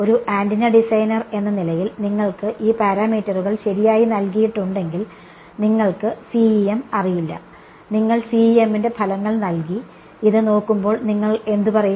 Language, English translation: Malayalam, As an antenna designer if you are given these parameters right you do not know CEM you have given the results of CEM looking at this what will you say